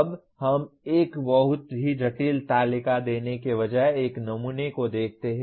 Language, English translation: Hindi, Now let us look at a sample instead of a giving a very complex table